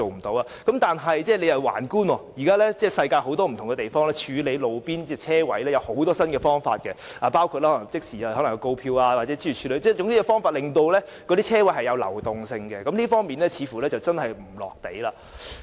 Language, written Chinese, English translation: Cantonese, 但是，我們環觀世界各地，處理路邊泊車位有很多新方法，包括即時發出告票，諸如此類，總之是有方法令泊車位流轉，這方面政府似乎並不"落地"。, However an overview of various parts of the world shows that there are many new ways to deal with roadside parking spaces including issuing penalty tickets immediately and so on . Anyhow there must be ways to facilitate the turnover of parking spaces but the Government is apparently out of touch with the reality . The last point I would like to raise concerns modes of transport